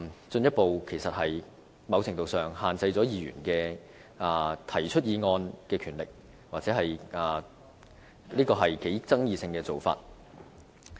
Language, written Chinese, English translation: Cantonese, 在某程度上，這是進一步限制議員提出議案的權力，也是頗具爭議性的做法。, Hence the amendments will further restrict Members power to propose motions to a certain degree and is thus rather controversial